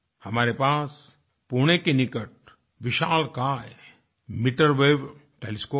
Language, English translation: Hindi, We have a giant meterwave telescope near Pune